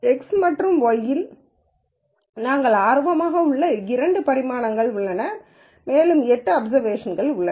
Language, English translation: Tamil, Let us say there are two dimensions that we are interested in x and y and there are eight observations